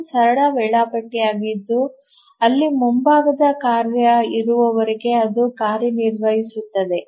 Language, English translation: Kannada, So, it's a simple scheduler where as long as there is a foreground task it runs